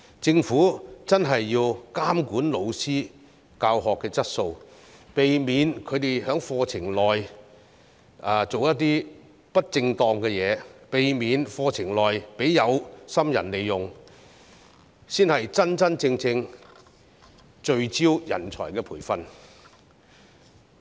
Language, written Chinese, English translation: Cantonese, 政府真的要監管教師的教學質素，避免他們在課程內做些不正當的事情，避免課程被有心人利用，才是真正聚焦培訓人才。, The Government really needs to regulate the teaching quality of teachers prevent them from misconduct in lessons and prevent lessons from being taken advantage of by people with ulterior motives . Only by doing so can it truly focus on training talents